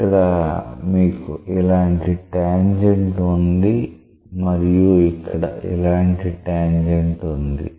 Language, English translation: Telugu, So, here you have a tangent like this and here you have a tangent like this